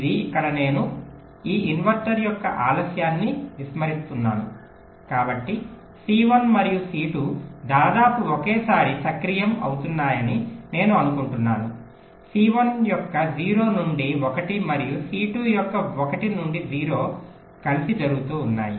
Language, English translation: Telugu, this is a scenario where here i am ignoring the delay of this inverter, so i am assuming c one and c two are getting activated almost simultaneously, zero to one of c one and one to zero of c two are happing together